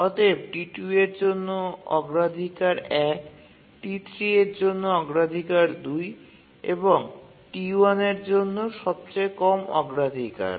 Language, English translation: Bengali, Prior 1 for T2, priority 2 for T3 and the lowest priority for T1